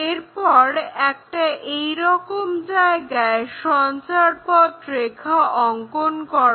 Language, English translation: Bengali, Then, draw a locus line somewhere here